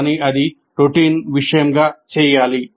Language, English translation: Telugu, But it should be done as a matter of routine